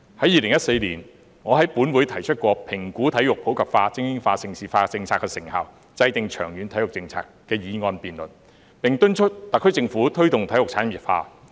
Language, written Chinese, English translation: Cantonese, 2014年，我在本會曾提出"評估'體育普及化、精英化、盛事化'政策的成效，制訂長遠體育政策"的議案辯論，並敦促特區政府推動體育產業化。, In 2014 I proposed a motion debate in this Council on Evaluating the effectiveness of the policy on promoting sports in the community supporting elite sports and developing Hong Kong into a prime destination for hosting major international sports events and formulating a long - term sports policy and urged the SAR Government to promote the industrialization of sports